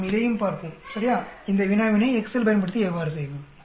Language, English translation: Tamil, Let us look at it also, right, how to go about doing this problem using Excel